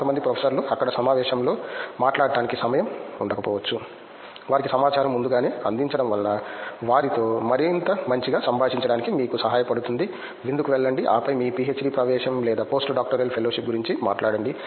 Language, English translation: Telugu, some professors might not find to talk to at the conference there itself, before giving them information would help you to interact with them in a much more descent manner, just say go for a dinner then talk about your PhD admission or post doctoral fellowship